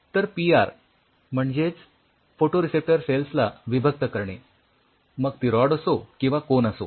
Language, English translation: Marathi, So, isolating the PR stands for the photoreceptor cell which is either rods or cones